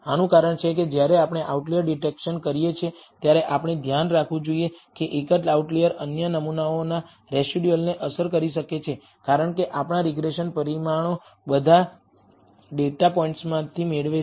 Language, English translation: Gujarati, The reason for this is, when we perform an outlier detection we should be aware that a single outlier can smear affect the residuals of other samples because of our regression parameters are obtained from all the data points